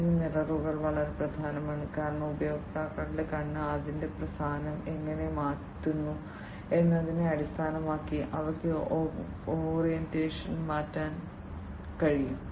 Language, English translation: Malayalam, And these mirrors are very important because they can basically you know they can change the orientation based on how the users’ eye, how the users’ eye changes its position